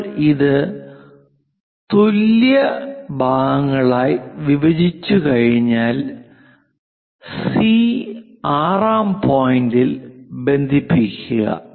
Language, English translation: Malayalam, Once we divide this into equal parts connect C and 6th point